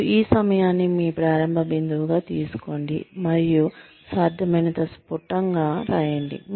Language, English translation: Telugu, And, take this time, as your starting point, and write down, as crisply as possible